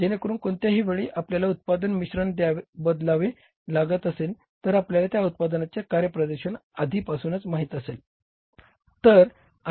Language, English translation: Marathi, So, that any time if you have to change the product mix, you know it in advance the performance of the different products